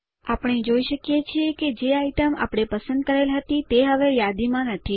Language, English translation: Gujarati, We see that the item we chose is no longer on the list